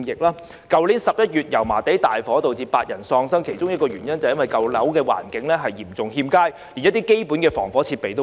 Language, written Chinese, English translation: Cantonese, 去年11月油麻地大火導致8人喪生，其中一個原因，就是因為舊樓的環境嚴重欠佳，連基本防火設備都沒有。, In November last year eight people lost their lives in a blaze in Yau Ma Tei . One of the reasons was probably the horrible conditions of the old building where no basic fire - fighting equipment was available